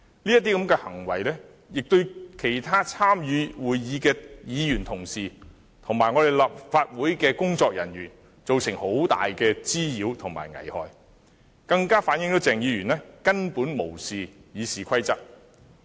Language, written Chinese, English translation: Cantonese, 這些行為亦對其他參與會議的議員和立法會的工作人員造成很大的滋擾和危害，更反映鄭議員根本無視《議事規則》。, His acts have also caused great nuisances and hazards to other Members and staff of the Council reflecting that Dr CHENG has basically disregarded the Rules of Procedure